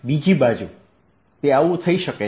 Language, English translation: Gujarati, on the other hand, it could so happen